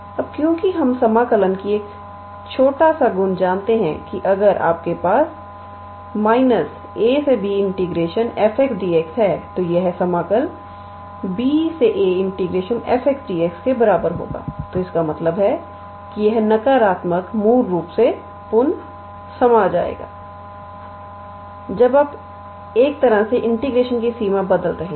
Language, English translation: Hindi, Now, since we know a small property of integral calculus that if you have minus of integral from a to b f x dx then this will be equals to integral from b to a f x dx so, that means, this minus will get reabsorbed basically when you are changing the range of integration in a way